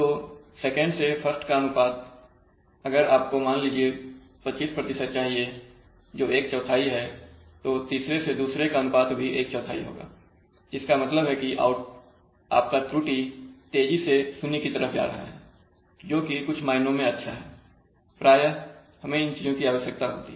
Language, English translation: Hindi, So the ratio of 2nd to 1st will be let us say if you require 25% that will be one fourth then third to second will again be one forth so which means that your error is rapidly converging to zero, so in some sense it is good so you see that such things are often required